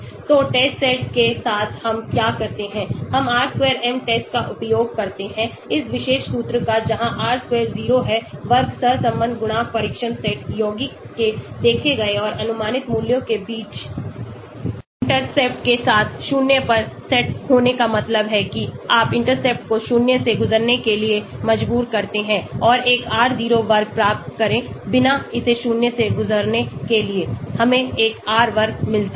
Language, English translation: Hindi, So with the test set what we do is we do a r square m test using this particular formula where r square 0 is squared correlation coefficient between the observed and predicted values of the test set compound with the intercept set to zero that means you force the intercept to pass through the zero and get an r0 square without allowing it to pass through zero we get an r square